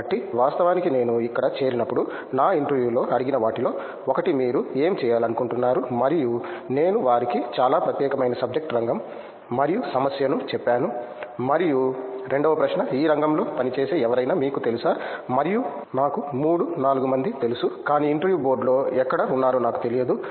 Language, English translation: Telugu, So, I actually when I joined here one of the things which was asked in my interview is what do you like to do and I told them very specific subject area and problem and the second question was, do you know anyone who works in this field and I knew 3, 4 people but I didn’t know whom of them where there in the interview board